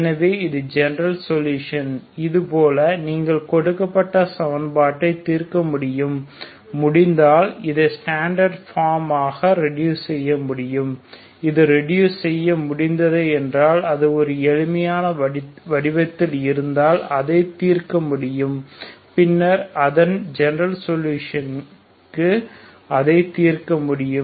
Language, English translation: Tamil, So this is the general solution like this you can solve given equation you reduce this into standard form if possible it can be solved if it is after after reduction if it is in a simpler form then it can be solved it can be solved for its general solution so this is the solution for the reduction equation